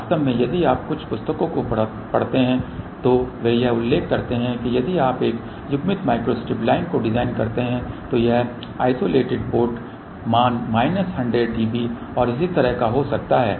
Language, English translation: Hindi, In fact, if you read some of the books they do mention that if you design a coupled micro strip line this is the isolated port value may be of the order of 100 minus db and so on